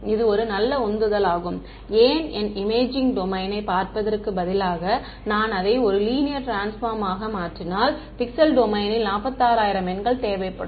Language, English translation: Tamil, So, this is sort of a very good motivation why, if my imaging domain instead of looking at it in the pixel domain which needs 46000 numbers, if I transform it a linear transformation